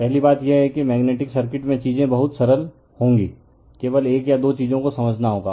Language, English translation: Hindi, First thing is that magnetic circuit we will find things are very simple, only one or two things we have to understand